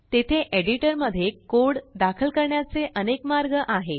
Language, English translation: Marathi, There are several ways to enter the code in the editor